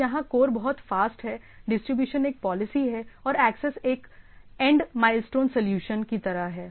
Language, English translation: Hindi, So, the core is very fast, then the distribution is more of policy and the access is the end mile type of solution